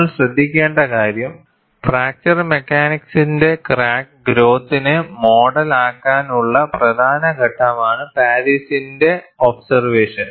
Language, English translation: Malayalam, And what you will have to note is, the observation of Paris is an important step in modeling crack growth by fracture mechanics